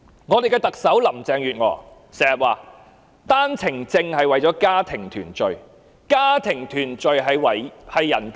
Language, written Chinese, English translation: Cantonese, 我們的特首林鄭月娥經常說單程證的安排是為了家庭團聚，而家庭團聚是人權。, Our Chief Executive Mrs Carrie LAM always says that the OWP arrangement is for the purpose of family reunion and family reunion is a kind of human right